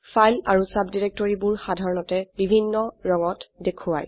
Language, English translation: Assamese, Files and subdirectories are generally shown with different colours